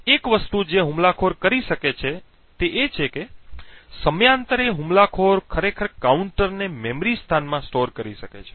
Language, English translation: Gujarati, So, one thing that the attacker could do is that periodically the attacker could actually store the counter in a memory location